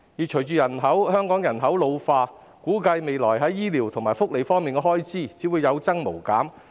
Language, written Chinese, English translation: Cantonese, 隨着香港人口老化，估計未來在醫療及福利方面的開支只會有增無減。, With the ageing population in Hong Kong the expenditure on medical and welfare services is expected to rise continuously in the future